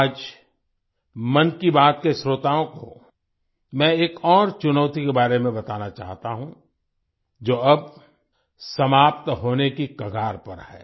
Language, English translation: Hindi, Today, I would like to tell the listeners of 'Mann Ki Baat' about another challenge, which is now about to end